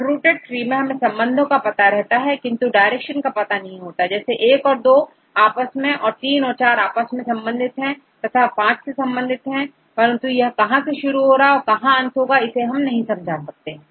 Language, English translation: Hindi, In the case of unrooted trees we know the relationship, but we do not know their direction for example, I and II are related and IV and V are related